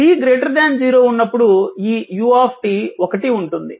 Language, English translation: Telugu, And for t greater than 0, this U t is 1